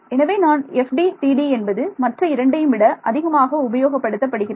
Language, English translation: Tamil, So, that is why this FDTD is a more widely used than the other two